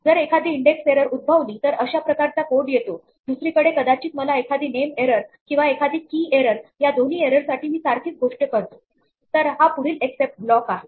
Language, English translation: Marathi, So, this is the code that happens if an index error occurs on the other hand maybe I could get a name error or a key error for both of which I do the same thing, so this is the next except block